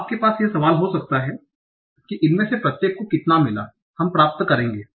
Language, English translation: Hindi, Now you might have a question how much of this each of them individually will get